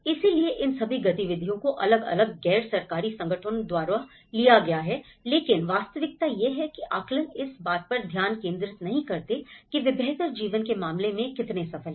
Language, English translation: Hindi, So, these all activities have been taken up by different NGOs but the reality is the assessments does not focus on how far they are successful in terms of a better lives